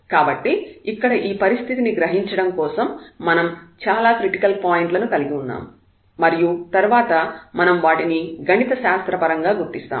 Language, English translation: Telugu, So, just to realize this situation here so we have many critical points which we will identify again mathematically little later